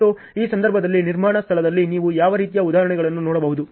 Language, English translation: Kannada, And, what sort of examples can you see in construction site for these cases